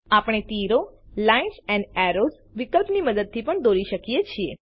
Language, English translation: Gujarati, We can also draw arrows using the Lines and Arrows option